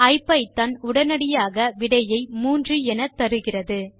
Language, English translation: Tamil, IPython promptly gives back the output as 3